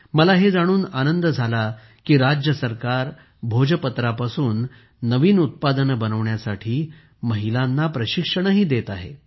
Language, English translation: Marathi, I am also happy to know that the state government is also imparting training to women to make novel products from Bhojpatra